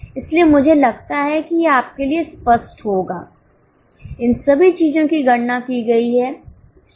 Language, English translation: Hindi, So, I think it will be clear to you all these things have been calculated